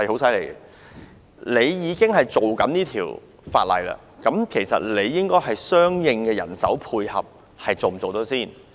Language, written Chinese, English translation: Cantonese, 既然你正制定相關法例，你是否有相應的人手配合呢？, Since work is being carried out to formulate the relevant legislation does CAD have the necessary manpower to provide support?